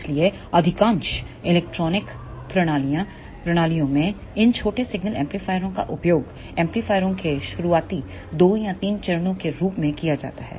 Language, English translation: Hindi, So, in most of the electronic systems these small signal amplifiers are used as the starting 2 or 3 stages of amplifiers